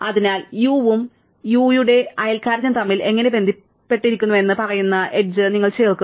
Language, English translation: Malayalam, So, you add the edge which tells us how it is connected u and neighbour of u